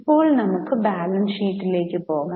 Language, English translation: Malayalam, Now let us go to balance sheet